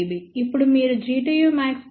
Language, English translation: Telugu, Now, if you recall G tu max was 10